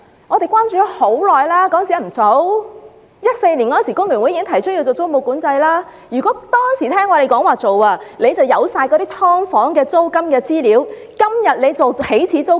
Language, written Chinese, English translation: Cantonese, 工聯會早在2014年已建議實施租務管制，如果政府當時聽從我們的建議，政府現在便有全部"劏房"的租金資料，今天便能訂定起始租金。, The Hong Kong Federation of Trade Unions proposed to introduce tenancy control as early as in 2014 . If the Government had taken heed of our advice it would have had all the SDU rental information for it to set the initial rent today